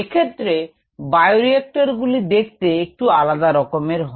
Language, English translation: Bengali, the bioreactors themselves might look a little different